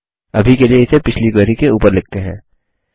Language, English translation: Hindi, For now, let us overwrite it on the previous query